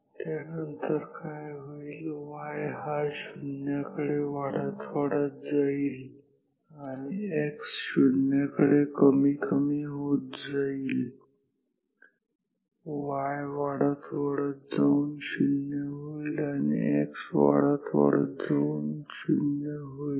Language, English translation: Marathi, After, that what happens y increases goes to 0 and x decrease goes to 0 y increases goes to 0 and x increases goes to 0